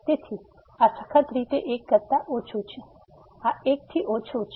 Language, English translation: Gujarati, So, this is strictly less than , this is less than equal to